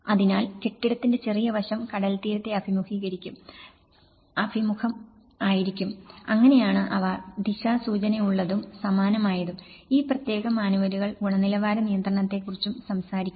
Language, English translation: Malayalam, So, the building's; the shorter side will face the seaside, so that is how they are oriented and similarly, in terms of the; this particular manuals also talk about the quality control